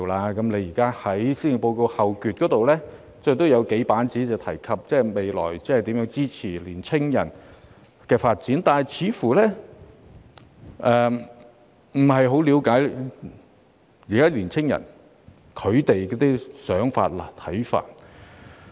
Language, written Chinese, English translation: Cantonese, 行政長官在施政報告後部分用數頁的篇幅來闡述未來如何支持年輕人發展，但她似乎不太了解當今年輕人的想法和看法。, In the latter part of the Policy Address the Chief Executive devoted several pages to how to support young people in their pursuit of development in future but it seems that she does not quite understand young peoples thoughts and views nowadays